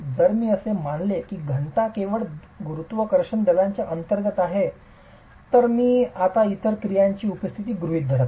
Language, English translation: Marathi, If I were to assume that the density, it is only under gravity forces, I am not assuming the presence of other actions now